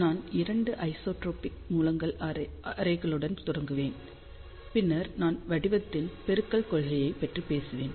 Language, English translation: Tamil, So, I will start with arrays of 2 isotropic sources then I will talk about principle of pattern multiplication